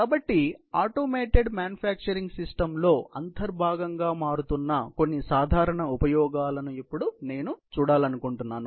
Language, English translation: Telugu, So, I would just like to now, look at some of the typical applications, which are becoming an integral part of the automated manufacturing system